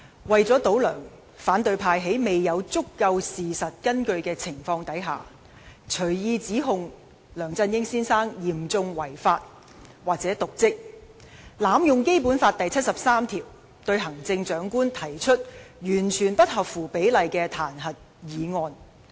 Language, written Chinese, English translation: Cantonese, 為了"倒梁"，反對派在未有足夠事實根據的情況下，隨意指控梁振英先生嚴重違法及/或瀆職；他們又濫用《基本法》第七十三條，對行政長官提出完全不合乎比例的彈劾議案。, Without the support of sufficient facts Members of the opposition camp willfully charge Mr LEUNG Chun - ying with serious breaches of law andor dereliction of duty . They have also abused Article 73 of the Basic Law when they moved the disproportionately serious impeachment motion against the Chief Executive